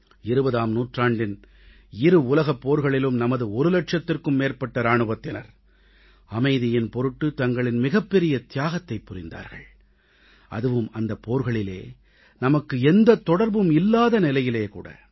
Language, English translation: Tamil, In the two worldwars fought in the 20th century, over a lakh of our soldiers made the Supreme Sacrifice; that too in a war where we were not involved in any way